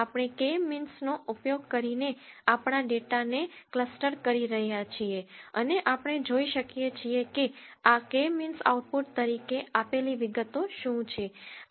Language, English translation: Gujarati, We are clustering our data using the K means and we can see what are the details that this K means gives as an output